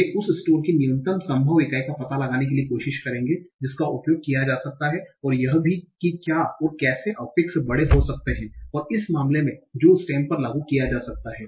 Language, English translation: Hindi, They will try to find out the minimal possible unit of the stem that can be used and to that what are the, and the aff can be big in that case that can be applied to the stem